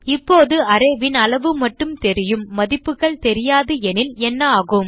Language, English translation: Tamil, Now what if we know only the size of the array and do not know the values